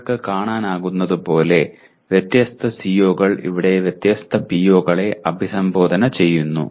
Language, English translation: Malayalam, And as you can see different COs here are addressing different POs